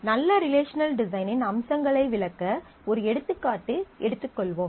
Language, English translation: Tamil, So, to start with the features of good relational design, let us take an example